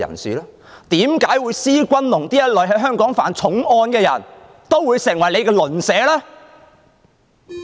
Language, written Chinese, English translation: Cantonese, 為何施君龍這類在香港曾犯重案的人也會成為你的鄰居？, Why can people like SHI Junlong who has committed a serious crime in Hong Kong become your neighbours?